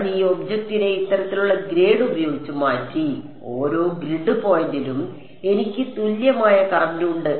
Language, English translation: Malayalam, I have replace this object by grade of this sort, and at each grid point I have an equivalent current